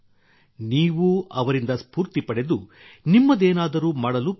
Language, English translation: Kannada, You too take inspiration from them; try to do something of your own